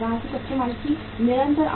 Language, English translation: Hindi, Continuous supply of raw material